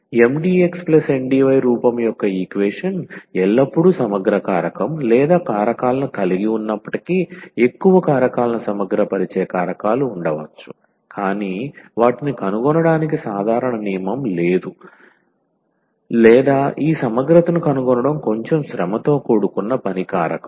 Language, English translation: Telugu, So, although an equation this of the form Mdx plus Ndy always has an integrating factor or factors there could be more factor integrating factors, but there is no a general rule for finding them or rather it is a little bit tedious job to find this integrating factor